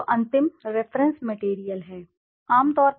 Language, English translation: Hindi, So the final reference material the reference material is